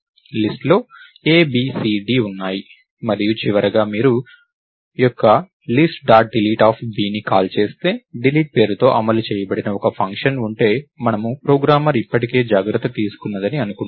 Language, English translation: Telugu, So, the list will have a, b, c, d and finally, if you call list dot delete of b, if there is a function implemented by the name Delete, we assume that ah